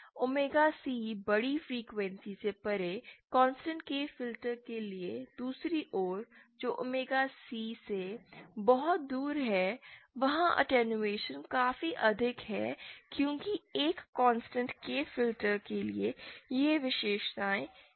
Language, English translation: Hindi, On the other hand for the constant k filter beyond omega C large frequencies which are far away from omega C, there the attenuation is quite high because for a constant k filter those characteristics was like this